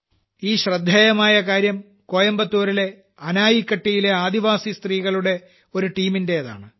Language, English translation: Malayalam, This is a brilliant effort by a team of tribal women in Anaikatti, Coimbatore